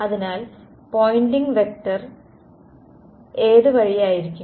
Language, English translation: Malayalam, So, which way will the Poynting vector be